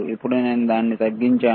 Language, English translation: Telugu, Now I am bringing it down